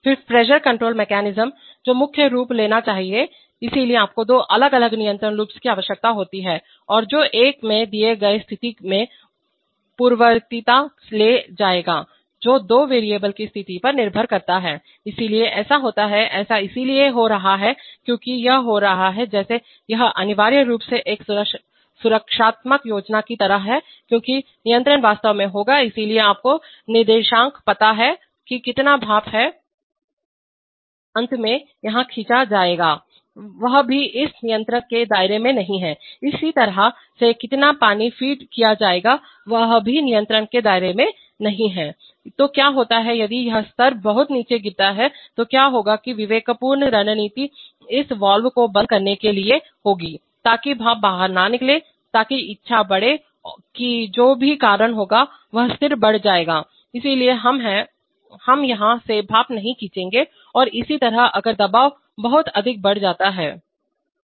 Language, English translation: Hindi, Then the pressure control mechanism should take precedence, so you are having two different control loops and which one will take precedence in a, in a given situation that depends on the state of to two variables, so that happens, that is happening because it is like, it is like a protective scheme essentially because the controls will be actually, so it you know coordinates because how much of steam will be finally drawn here, that is also not in the within the purview of this of this controller, similarly how much of feed water is going to be fed in that is not also within the purview of this controller, so what happens is that, if this level is falls too low then what will happen is that the judicious strategy will be to close this valve, so that steam is not going out, so that will, that will raise, that will whatever cause is, that the level will rise, so we are, we will not draw steam from here and similarly if the pressure goes too high